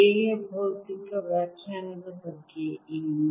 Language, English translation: Kannada, what about physical interpretation of a